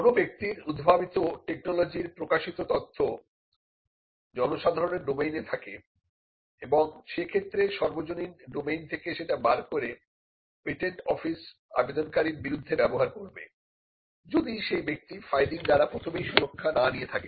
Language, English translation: Bengali, Publication of any information pertaining to the technology that a person is developed will put the information into the public domain and, once it is there the public domain the patent office would search it and use that against the person; if he does not protect first by filing a patent application